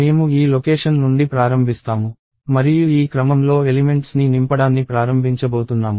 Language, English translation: Telugu, So, I will start from this location and I am going to start filling up elements in this order